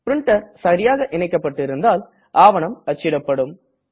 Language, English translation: Tamil, If you have configured your printer correctly, your document will started printing